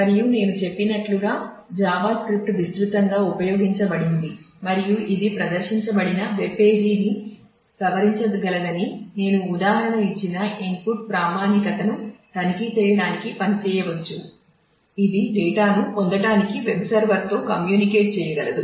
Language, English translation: Telugu, And Java script as I have said is widely used and it can function to check for input validity which I gave an example of it can modify the displayed web page, it can communicate with the web server to fetch data and so, on